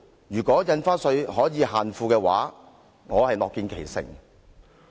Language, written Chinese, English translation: Cantonese, 如果印花稅能夠限富，我樂見其成。, If stamp duty can restrain the rich I support its implementation